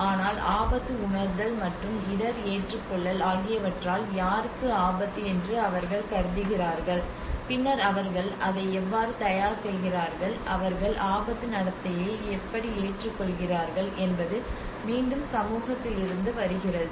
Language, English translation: Tamil, But there is also the risk perception, risk acceptance as risk to whom then how do they prepare for it how do they accept it risk behaviour so this is again this whole thing comes from the social and community